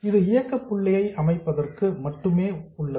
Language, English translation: Tamil, This is just to set up the operating point